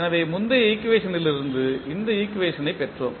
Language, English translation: Tamil, So, we got this equation from the previous equation